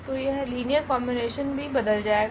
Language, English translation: Hindi, So, this linear combination will also change